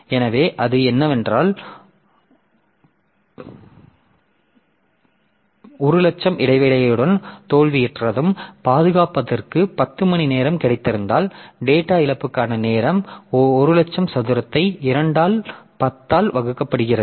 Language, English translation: Tamil, So, so, so if we have got a disk with 100,000 mean time to failure and 10 hour mean time to repair, then the mean time to data loss is 100,000 squared divided by 2 into 10